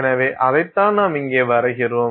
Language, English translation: Tamil, So, that is what we are plotting here